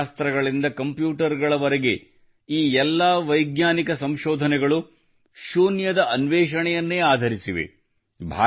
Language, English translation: Kannada, From Calculus to Computers all these scientific inventions are based on Zero